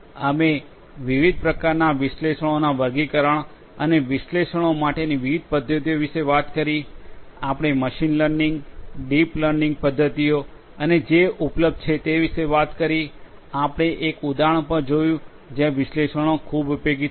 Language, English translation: Gujarati, We talked about the classification of different types of analytics and the different methodologies for analytics; we talked about machine learning, deep learning methods and that are available; we also saw an example where analytics would be very much useful